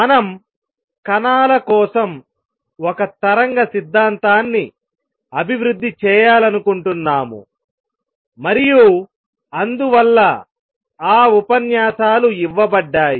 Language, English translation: Telugu, We want to develop a wave theory for particles and therefore, those lectures will given